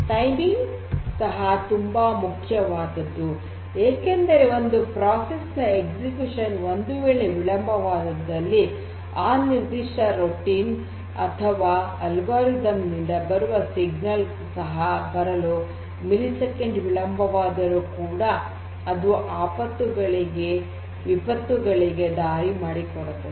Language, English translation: Kannada, Timing is very important because if you know if the certain if a particular process gets delayed in execution and that particular signal coming from that particular routine or that algorithm under execution gets delayed by even a millisecond that might also lead to disasters